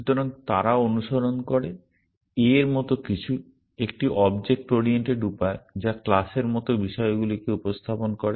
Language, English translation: Bengali, So, they follow the, something like a, like a object oriented way of representing things which are like classes